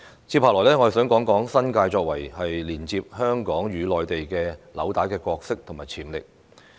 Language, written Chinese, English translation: Cantonese, 接下來，我想談談新界作為接連香港與內地紐帶的角色和潛力。, Next I wish to talk about the role and potential of the New Territories as the link between Hong Kong and the Mainland